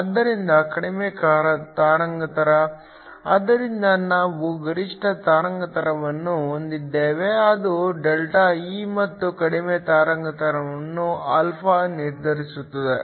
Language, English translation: Kannada, So, The lower wavelength, so we have a maximum wavelength which determined by ΔE and the lower wavelength is determined by α